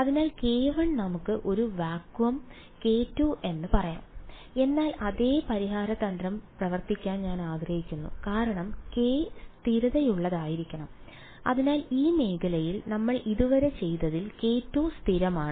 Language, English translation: Malayalam, So, k 1 let us say a vacuum, k 2 whatever material, but implicit because I want the same solution strategy to work is that k should be constant therefore, this in what we have done so far everywhere over here in this region k 2 is constant